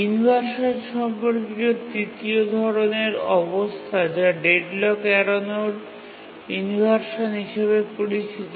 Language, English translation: Bengali, An avoidance related inversion is also called deadlock avoidance inversion